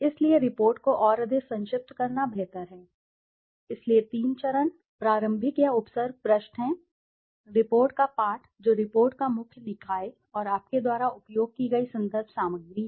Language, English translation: Hindi, So, the more concise the report it is better, so the three stages are the preliminary or the prefix pages, the text of the report that is the main body of the report and the reference material that you have used